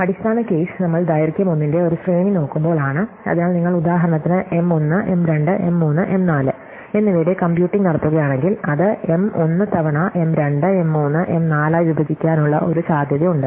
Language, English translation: Malayalam, So, the base case is when we are looking at a sequence of length 1, so if you are computing for example, M 1, M 2, M 3, M 4, then one possibility that are break it up as M 1 times M 2, M 3, M 4